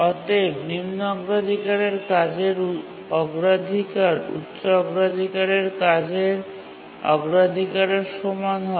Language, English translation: Bengali, Only the low priority tasks can cause inversion to a higher priority task